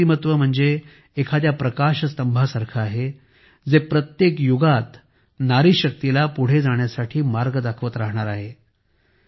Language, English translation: Marathi, Their personality is like a lighthouse, which will continue to show the way to further woman power in every era